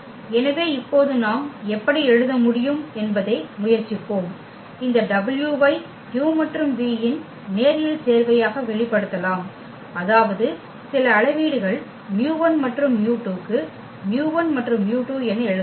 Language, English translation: Tamil, So, let us try now how we can write we can express this w as a linear combination of u and v; that means, the w can we write as mu 1 u and mu 2 v for some scalars mu 1 and mu 2